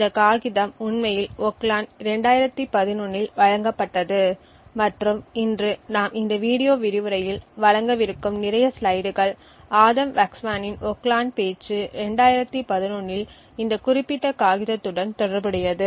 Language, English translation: Tamil, This paper was actually presented in Oakland 2011 and a lot of the slides that we will be presenting today in this video lecture is by Adam Waksman’s Oakland talk in 2011 essentially the talk corresponding to this specific paper